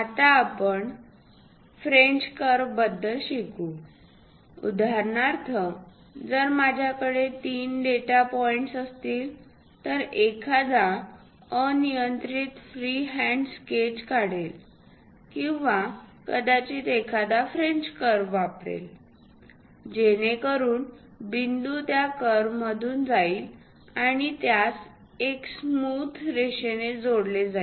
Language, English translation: Marathi, Now, we will learn about French curves; for example, if I have three data points, one can draw an arbitrary free hand sketch like that or perhaps use a French curve, so that the point can be passing through that curve and connect it by a nice smooth line